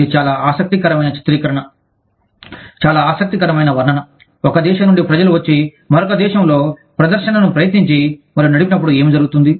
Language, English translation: Telugu, It is quite an interesting picturization, quite an interesting depiction of, what happens, when people from one country, come and try and run the show, in another country